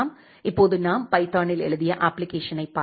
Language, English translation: Tamil, Now let us look into the application that we had written in python